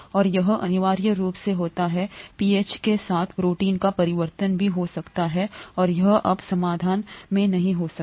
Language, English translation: Hindi, And that is essentially what happens, protein conformation may also change with pH, and it can no longer be in solution